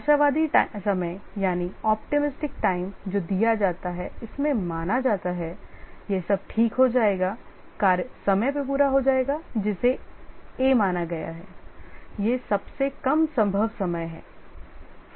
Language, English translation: Hindi, The optimistic time that is given that everything goes all right the task will get completed in time A